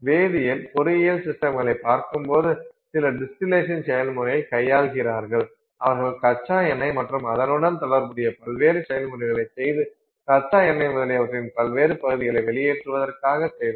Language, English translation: Tamil, So, when you look at chemical engineering systems where they look at say, you know, some distillation process, they are working with the crude oil and doing some various processes with respect to it to get out the various fractions of the crude oil, etc